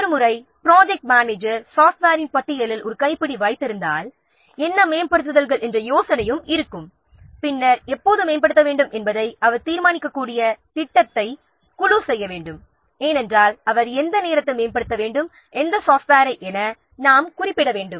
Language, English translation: Tamil, So the once the project manager has the handle on the list of software and an idea of what upgrades the team will need to make during the project he can decide when to upgrade okay so the once the project manager has a handle on the list of the software and the idea of what upgrades then the team will need to make during the project that he can decide when to upgrade because you have to specify at what point of time the he has to upgrade and which software